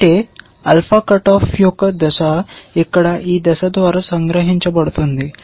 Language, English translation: Telugu, That is, that step of alpha cut off is captured by this step here